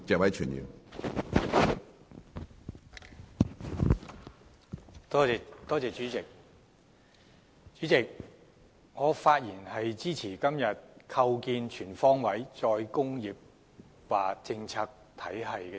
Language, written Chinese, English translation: Cantonese, 主席，我發言支持今天這項有關"構建全方位'再工業化'政策體系"的議案。, President I speak in support of todays motion on Establishing a comprehensive re - industrialization policy regime